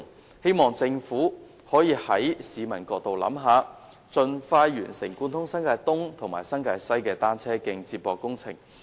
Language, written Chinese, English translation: Cantonese, 我希望政府可以從市民的角度考慮，盡快完成貫通新界東及新界西的單車徑接駁工程。, I hope the Government can make consideration from the angle of the public and expeditiously complete the connection works on linking up the cycle tracks in eastern and western New Territories